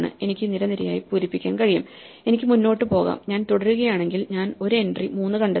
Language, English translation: Malayalam, I can fill up column by column and I can keep going and if I keep going I find an entry 3